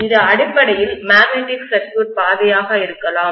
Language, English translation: Tamil, This may be the magnetic circuit path basically